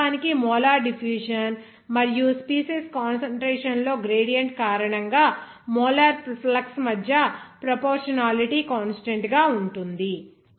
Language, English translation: Telugu, This is actually a proportionality constant between the molar flux due to the molar diffusion and the gradient in the concentration of the species